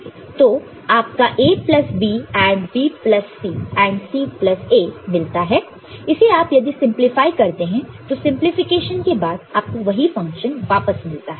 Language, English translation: Hindi, You get A plus B ANDed with B plus C ANDed with C plus A and if you simplify it you get back after the simplification stays steps the same function